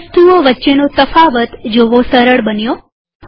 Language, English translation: Gujarati, Now it is easy to discriminate between the objects